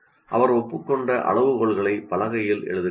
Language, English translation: Tamil, And she writes the agreed criteria on the board